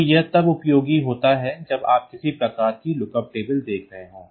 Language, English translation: Hindi, So, this is useful when you are having some sort of look up tables ok